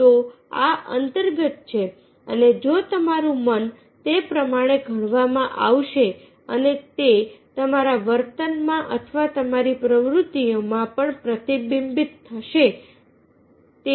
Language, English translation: Gujarati, so this is within and if you are, mind is moulded accordingly and that will be reflected in your behaviour also or in your activities